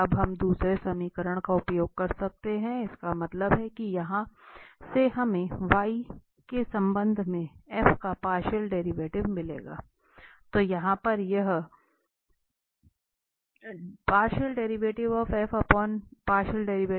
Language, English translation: Hindi, Now, we can use the second equation, that means from here we will get the partial derivative of f with respect to y